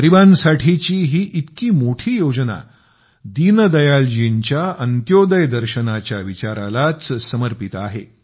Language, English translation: Marathi, Such a massive scheme for the poor is dedicated to the Antyodaya philosophy of Deen Dayal ji